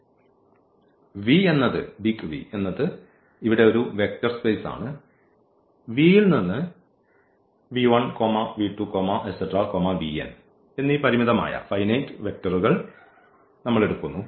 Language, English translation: Malayalam, So, V is a vector space we take and then a finite set of vectors